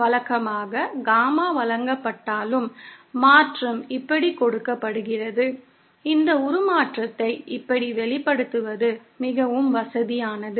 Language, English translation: Tamil, Usually even though Gamma is givenÉ The transformation is given like this, it is more convenient to express this transformation like this